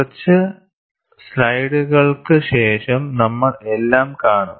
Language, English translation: Malayalam, We will see all that, after a few slides